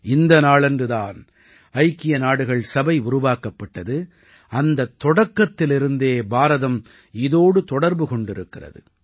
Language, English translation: Tamil, This is the day when the United Nations was established; India has been a member since the formation of the United Nations